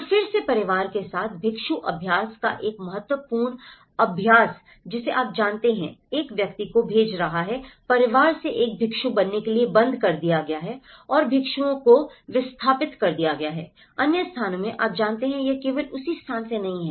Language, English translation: Hindi, So, again an important practice of monk practice with the family you know, sending a person from the family to become a monk has been discontinued and the monks have been migrated from other places, you know, it is not just from the same place